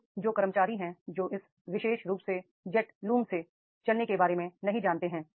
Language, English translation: Hindi, So, those who are the employees who are not aware of this particular running how to jet looms, they have to be trained